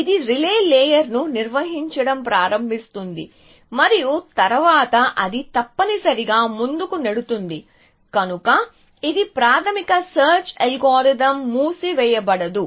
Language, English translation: Telugu, It starts constructing a relay layer and then it pushes forward essentially, so that is a basic search algorithm no closed, but this thing